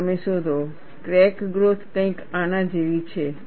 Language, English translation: Gujarati, And you find, the crack growth is something like this